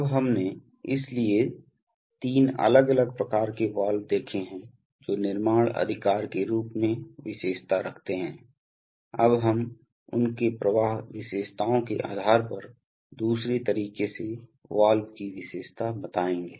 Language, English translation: Hindi, Now, we, so we have seen three different types of Valve's, characterized in terms of construction right, now we shall characterize valves in another way depending on their flow characteristics